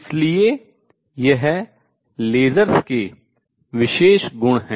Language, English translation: Hindi, So, these are special properties of lasers